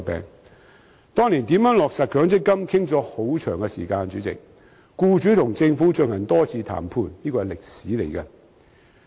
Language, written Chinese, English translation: Cantonese, 主席，當年就如何落實強積金討論了很長時間，僱主和政府進行多次談判，這是歷史。, President years ago there was a prolonged discussion on how to implement MPF with many rounds of negotiations between employers and the Government . This is history